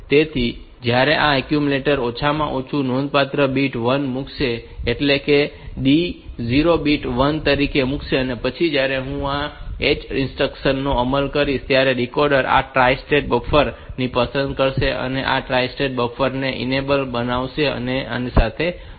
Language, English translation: Gujarati, So, when this will put the accumulator the least significant bit as 1 the D 0 bit as 1 and then when I am executing this out 0 H instruction this decoder will select this tri state buffer this tri state buffer will become enabled and it will be connected to this